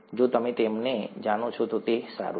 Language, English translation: Gujarati, If you know them then it’s fine